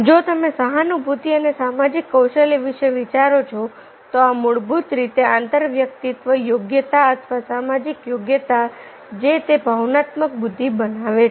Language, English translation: Gujarati, if you think of the empathy and social skills, these are basically the interpersonal competency or the social competency that make of that intelligence, that make of that emotional intelligence